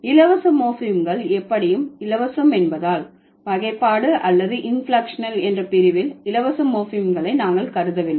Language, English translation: Tamil, We don't consider the free morphemes in the category of derivational or inflectional because free morphemes are anyway free